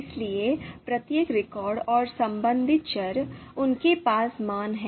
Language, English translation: Hindi, So each record and corresponding to variable, they are going to have values